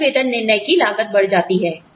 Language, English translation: Hindi, The cost of mistaken pay decision, escalate